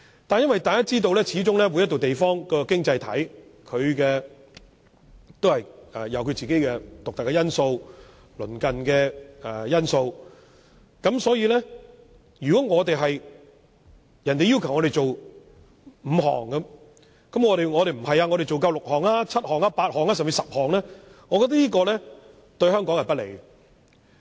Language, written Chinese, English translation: Cantonese, 但是，每個經濟體都有其獨特的環境。所以，如果人家要求我們做5項，我們卻做6項、7項、8項，甚至10項，只會對香港不利。, However as every economy has its own unique characteristics if we are only required to meet 5 requirements but Hong Kong meets 6 7 8 or even 10 requirements it will only be detrimental to Hong Kong